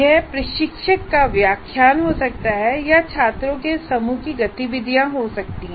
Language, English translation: Hindi, And there could be an instructor's lecture or the activities of a group of students